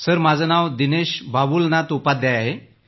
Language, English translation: Marathi, Sir, my name is Dinesh Babulnath Upadhyay